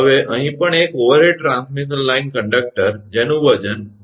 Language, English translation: Gujarati, Now here also an overhead transmission line conductor having weight 1